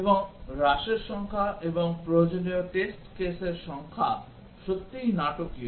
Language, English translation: Bengali, And the number of reduction and the number of test cases required is really dramatic